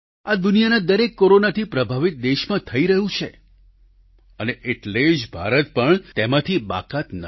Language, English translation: Gujarati, This is the situation of every Corona affected country in the world India is no exception